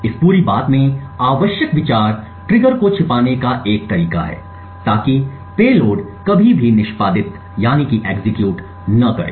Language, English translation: Hindi, Essential idea in this entire thing is a way to hide the triggers so that the payloads never execute